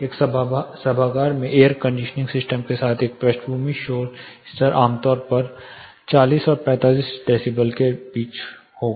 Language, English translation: Hindi, In an auditorium a background noise level with air conditioning system typically will range somewhere between 40 and 45 decibel